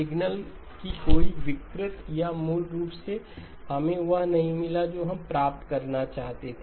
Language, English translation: Hindi, No distortion of the signal or basically did we get what we wanted to get